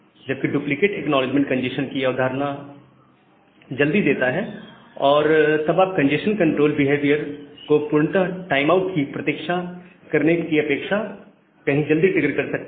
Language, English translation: Hindi, Whereas, duplicate acknowledgement gives you a early notion of congestion, and you can trigger the congestion control behavior much earlier compared to waiting for a complete timeout period